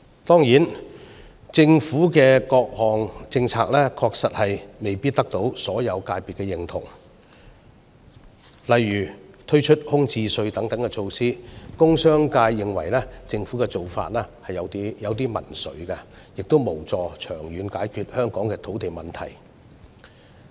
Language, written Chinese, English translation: Cantonese, 當然，政府的各項政策確實未必得到所有界別的認同，例如推出空置稅等措施，工商界認為政府的做法有點民粹，亦無助長遠解決香港的土地問題。, Certainly not all policies are approved of by all sectors . For instance the industrial and commercial sectors consider measures such as the vacant property tax somewhat populist and not conducive to solving Hong Kongs land issues in the long run